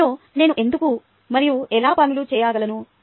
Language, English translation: Telugu, why and how do i do things in the class